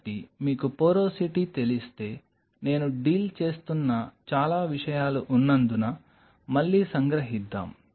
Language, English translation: Telugu, So, if you know the porosity so let us summarize again because there are too many things I am dealing